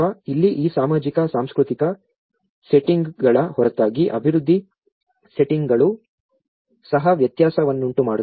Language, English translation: Kannada, Here, apart from these social cultural settings, there is also development settings which makes a difference